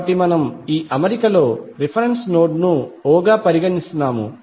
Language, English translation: Telugu, So we are considering reference node as o in this particular arrangement